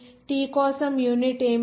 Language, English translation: Telugu, What is the unit for t